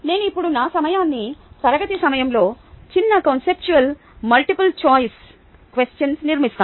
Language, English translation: Telugu, i now structure my time during class around short, conceptual multiple choice questions